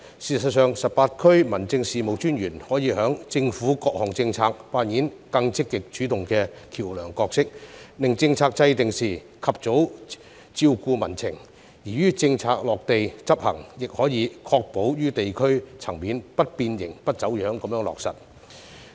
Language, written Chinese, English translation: Cantonese, 事實上 ，18 區民政事務專員可以在政府各項政策中扮演更積極主動的橋樑角色，令政策制訂時及早照顧民情，而於政策落地執行時，亦可以確保於地區層面不變形、不走樣地落實。, I agree with this . In fact the 18 District Officers can play a more proactive bridging role in the various policies of the Government so that public sentiments can be promptly catered for during policy formulation so as to enable that policies can be implemented at the district level in an intact and undistorted manner